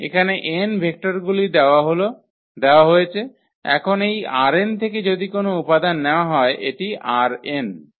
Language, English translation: Bengali, So, given these vectors here n vectors are given and now any element if we take from this R n so, any this is R n